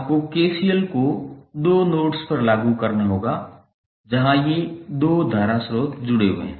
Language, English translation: Hindi, You have to apply KCL at two nodes where these two current sources are connected